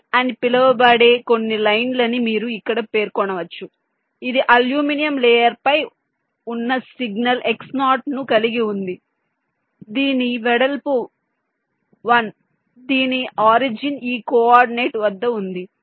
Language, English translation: Telugu, you see, here you can specify some line called port which is carrying a signal x zero, which is on the aluminium layer, whose width is one whose origin is at this coordinate